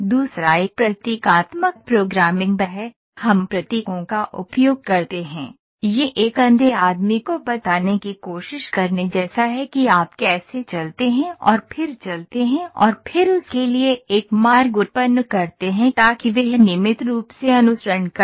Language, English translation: Hindi, The other one is symbolic programming, we use symbols, it is like trying to tell a blind man how do you walk and then walk and then generate a path for him so that he regularly follows